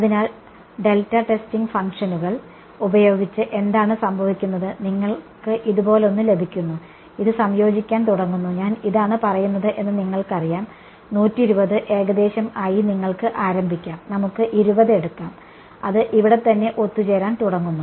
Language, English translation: Malayalam, So, with delta testing functions what happens is, you get something like this, it begins to converge for you know that I am this is say 120 you can start with something as crude let say 20 right it begins to converge over here right